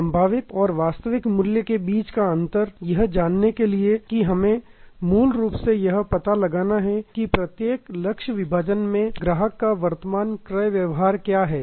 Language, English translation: Hindi, The gap between potential and actual value, to know that we have to basically find out that what is the current purchasing behavior of the customer in each target segment